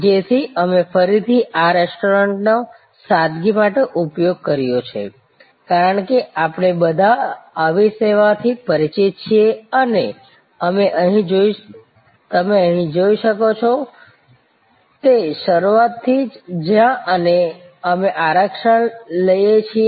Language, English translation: Gujarati, So, we have again use this restaurant for simplicity, because we have all familiar with such a service and you can see here, that right from the beginning where we take reservation